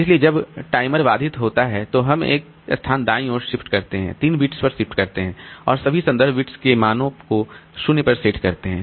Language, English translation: Hindi, So, when the timer interrupts, we shift to the right by one place the three bits and set the values of all the all reference bits to zero